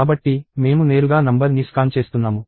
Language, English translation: Telugu, So, I am scanning the number directly